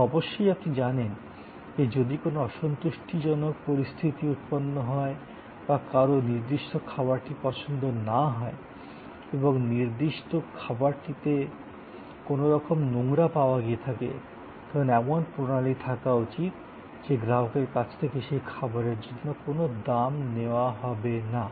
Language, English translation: Bengali, And then of course, you know, if there is an unsatisfactory situation or somebody did not like a particular dish and there was some kind of contamination in a particular dish, the system should be able to immediately create that the customer is not charged for that dish